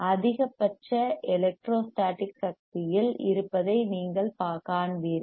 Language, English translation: Tamil, When you see that yYou will see that the maximum electrostatic energy is there